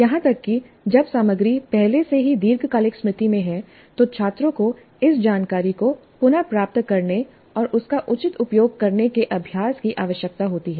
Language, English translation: Hindi, Even when the material is in long term memory already, students need practice retrieving that information and using it appropriately